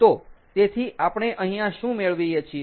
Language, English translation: Gujarati, so here, what do we have